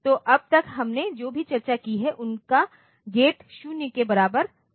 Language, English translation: Hindi, So, whatever we have discussed so far, their gate was equal to 0